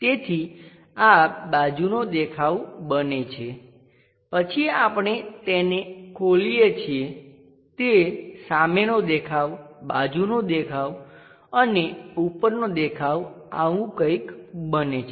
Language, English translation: Gujarati, So, this becomes side view, then we open it it becomes something like, front view, side view and top view